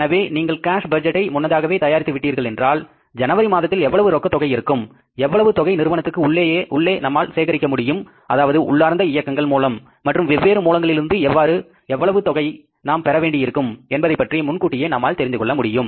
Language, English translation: Tamil, So, if you have prepared the cash budget in advance, so we know it in advance, therefore the month of January, how much is going to be the total cash requirement, how much cash will be able to generate internally from the internal operations and how much cash will be requiring to borrow from different sources